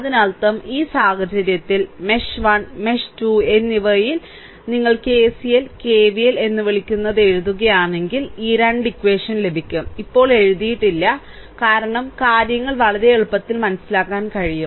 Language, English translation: Malayalam, So, in this case, if we apply write down your what we call that your KCL right KVL in mesh 1 and mesh 2, then you will get this 2 equations, I did not write now why because things are very easily understandable for you